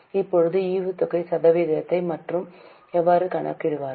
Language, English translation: Tamil, Now how will you calculate the dividend percent